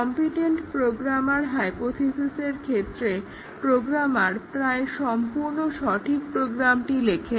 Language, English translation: Bengali, The competent programmer hypothesis says that programmers they write almost correct programs